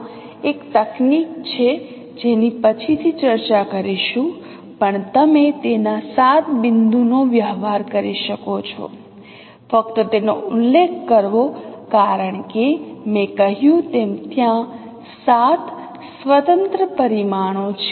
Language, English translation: Gujarati, There is a technique which we will discuss later on that even you can do it seven point correspondences just to mention that because as I mentioned there are seven independent parameters